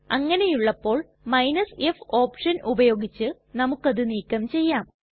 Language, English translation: Malayalam, But if we combine the r and f option then we can do this